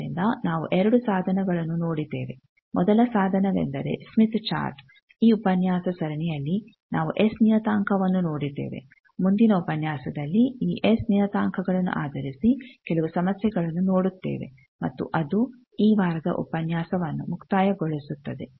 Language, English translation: Kannada, So, we have seen two tools; the first tool was Smith chart the second tool in these series of lecture, we saw as S parameter and with this, we will see in the next lecture some problems based on these S parameters and that will conclude the lecture of this week